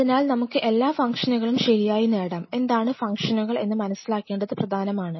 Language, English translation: Malayalam, So, let us get all the functions right, what are the functions what are important to understand